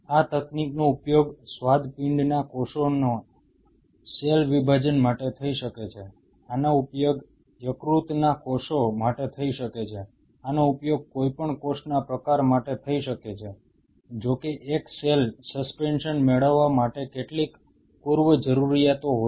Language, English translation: Gujarati, This technique can be used for cell separation of pancreatic cells this, could be used for the liver cells, this could be used for any cell type, provided there are few prerequisite to that provided you obtain a single cell suspension